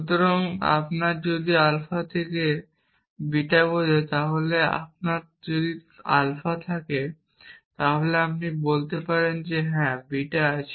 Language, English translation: Bengali, So, if you have alpha implies beta then if you have alpha then you can say yes beta is there